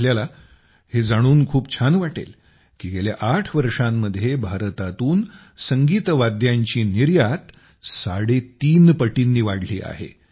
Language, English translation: Marathi, You will be pleased to know that in the last 8 years the export of musical instruments from India has increased three and a half times